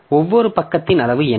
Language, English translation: Tamil, What can be the page size